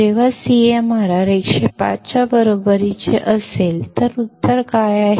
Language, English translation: Marathi, When CMRR is equal to 10 raised to 5, what is the answer